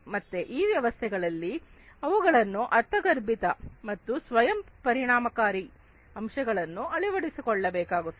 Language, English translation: Kannada, So, these systems will require intuitive and self effective elements to be adopted in them